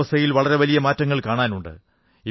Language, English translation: Malayalam, Quite a change is being felt in the weather